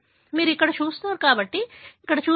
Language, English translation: Telugu, You see here, so that is where you see